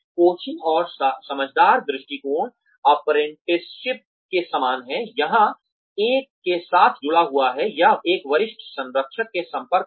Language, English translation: Hindi, Coaching and understudy approach, is similar to apprenticeship, where one is connected with, or put in touch with, a senior mentor